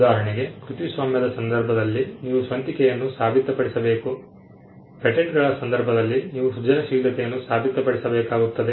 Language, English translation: Kannada, For instance, in the case of copyright you need to prove originality; in the case of patents you need to show inventive step